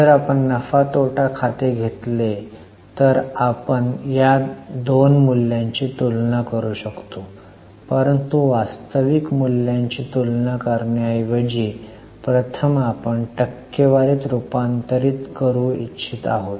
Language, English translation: Marathi, Now if you take P&L, we can compare these two values but instead of comparing actual values we want to first convert them into percentage